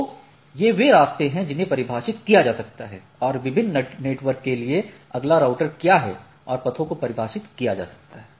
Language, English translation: Hindi, So, these are way the paths can be defined and for different network what is the next router and paths can be defined